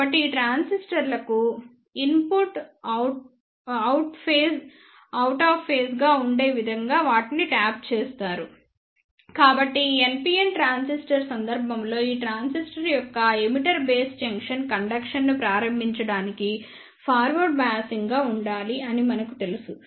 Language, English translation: Telugu, So, they are tapped in such a way that the input to these transistors are out of phase, So, in this case the NPN transistor we know that the emitter base junction for this transistor should be forward biased in order to start the conduction